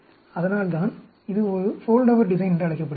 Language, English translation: Tamil, That is why it is called a Foldover design